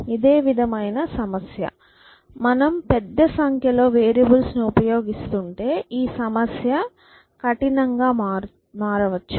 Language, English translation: Telugu, So, it is a similar problem that if you have dealing with a large number of variables then this problem could become hard